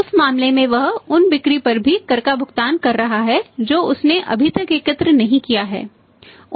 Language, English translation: Hindi, In that case he is paying the tax on those sales also which he has not yet collected